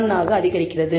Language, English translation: Tamil, 9852 it increases to 0